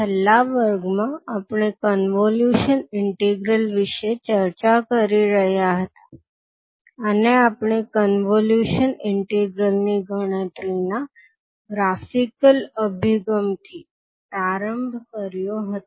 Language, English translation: Gujarati, Namashkar, so in the last class we were discussing about the convolution integral, and we started with the graphical approach of calculation of the convolution integral